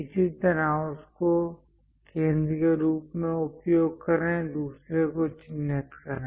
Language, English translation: Hindi, Similarly, use that one as centre; mark other one